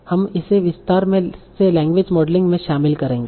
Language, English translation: Hindi, For that we will use a technique called language modeling